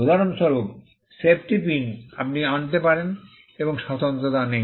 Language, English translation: Bengali, For instance, in a safety pin there is not much uniqueness you can bring